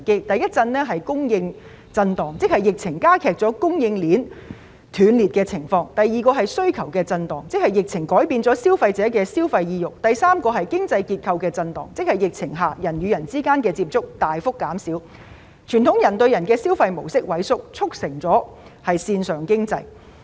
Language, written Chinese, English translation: Cantonese, 第一震是供應震盪，即疫情加劇了供應鏈斷裂情況；第二震是需求震盪，即疫情改變了消費者的消費意欲；第三震是經濟結構震盪，即疫情下人與人之間的接觸大幅減少，傳統人對人的消費模式萎縮，促成了線上經濟。, the epidemic has exacerbated the breaking of supply chains; the second shock is demand shock ie . the epidemic has changed consumer sentiments; the third shock is economic structure shock ie . the contacts among people have been greatly reduced under the epidemic leading to a dwindling of the traditional human - to - human consumption model and the surging of the online economy